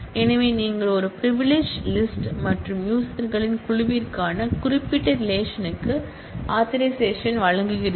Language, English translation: Tamil, So, you grant an authorisation to a privilege list and on certain relation to a group of users